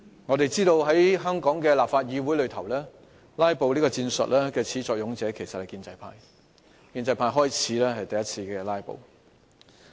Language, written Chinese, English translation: Cantonese, 我們知道，在香港議會內"拉布"的始作俑者其實是建制派，是建制派議員首次"拉布"的。, As we all know the instigator of filibusters in the legislature of Hong Kong is actually the pro - establishment camp . The pro - establishment Members were the first ones who filibustered